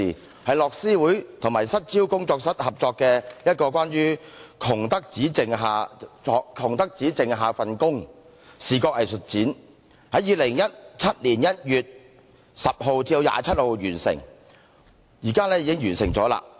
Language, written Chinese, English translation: Cantonese, 它是由樂施會與失焦工作室合辦的一個關於"窮得只剩份工"的視覺藝術展，於2017年1月10日至27日展出，展期現已完結。, It is an art exhibition on in - work poverty jointly held by Oxfam Hong Kong and Outfocus Group Workshop from 10 to 27 January 2017 which has now ended